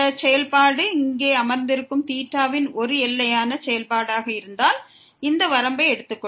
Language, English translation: Tamil, We have to closely look at this function whether if it is a bounded function of theta sitting here and then we are taking this limit goes to 0, then this will be 0